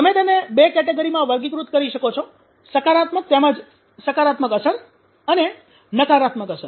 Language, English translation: Gujarati, You can categorize them on the two categories positive as well as positive effect and negative effect